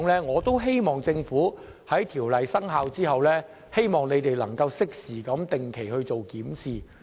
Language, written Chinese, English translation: Cantonese, 我希望政府在條例生效後，能夠定期進行檢視。, I hope that the Government will regularly examine these matters after the Ordinance has taken effect